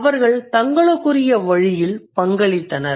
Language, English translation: Tamil, They contributed in their own way